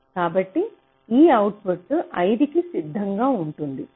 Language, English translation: Telugu, so this output will be ready by five